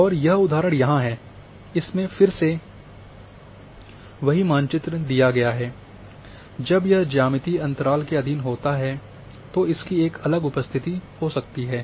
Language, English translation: Hindi, And example is here which again the same map is given when it is subjected to geometrical interval may have a different appearance